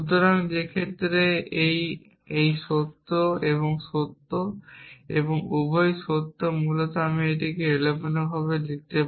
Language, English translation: Bengali, So, in which case this this and this true and true and both are true essentially I can shuffle this and write it as not p or q or not q or p